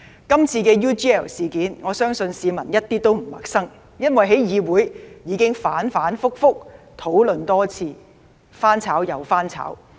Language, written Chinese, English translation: Cantonese, 今次 UGL 事件，我相信市民一點也不陌生，因為在議會已反反覆覆多次討論，"翻炒又翻炒"。, The UGL case this time around is nothing strange to the public I believe because it has been discussed by Legislative Council on numerous occasions and it has been rehashed for numerous times